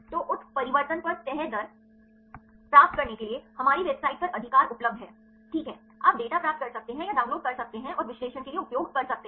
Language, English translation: Hindi, So, there is available in our website right to get the folding rate upon mutations, right, you can get or download the data and you can use for analysis